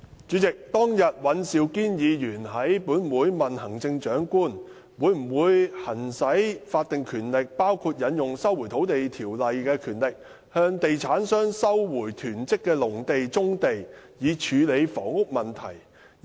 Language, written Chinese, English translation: Cantonese, 主席，尹兆堅議員當天在本會問行政長官，會否行使法定權力，包括引用《收回土地條例》下的權力，向地產商收回囤積的農地和棕地，以處理房屋問題。, President Mr Andrew WAN asked the Chief Executive in this Council whether she would exercise the statutory power including invoking the power under LRO to recover farm sites and brownfield sites hoarded by real estate developers so as to resolve the housing problems